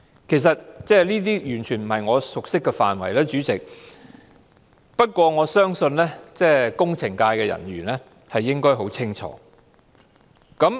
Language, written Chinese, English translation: Cantonese, 主席，這些完全不是我熟悉的範疇，但我相信工程界人士應該認識很清楚。, President I am not well versed in these at all but I believe those from the engineering sector should know it very well